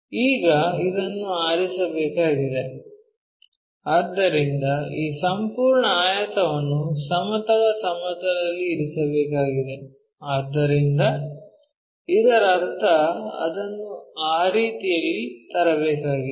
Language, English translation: Kannada, Now, this one has to rest, so this entire rectangle has to rest on the horizontal plane, so that means, I have to bring it in that way